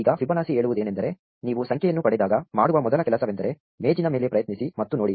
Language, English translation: Kannada, Now what Fibonacci says is, the first thing you do when you get a number is try and look up the table